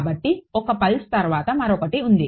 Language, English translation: Telugu, So, 1 pulse after the other